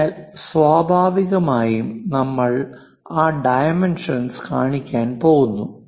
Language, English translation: Malayalam, So, naturally we are going to show that dimension